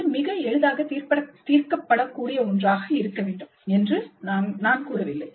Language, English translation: Tamil, We are not saying that it should be something which can be solved very easily